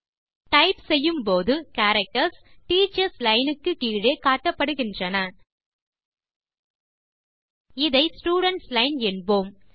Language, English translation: Tamil, As we type, the characters are displayed in the line below the Teachers line